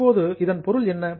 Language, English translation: Tamil, Now what is the meaning